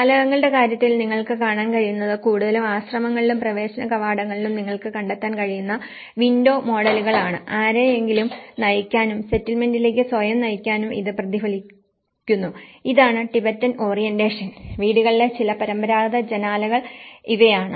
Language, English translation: Malayalam, In terms of windows, what you can see is a kind of this is mostly, these are the window models which you can find in the monasteries and the entrance gateways which are reflected to direct someone, to orient themselves into the settlement that, this is a Tibetan orientation and these are the some of the traditional windows in the houses